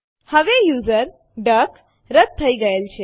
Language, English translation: Gujarati, Now the user duck has been deleted